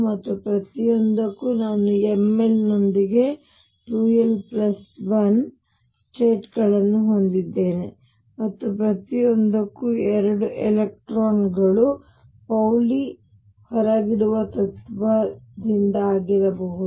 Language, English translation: Kannada, And for each I have 2 l plus 1 states with m Z, and for each there can be two electrons due to Pauli exclusion principle